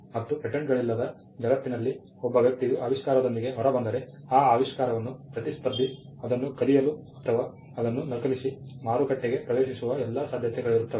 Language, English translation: Kannada, In a world where there are no patents if a person comes out with an invention, there is all likelihood that a competitor could steal it or copy it and enter the market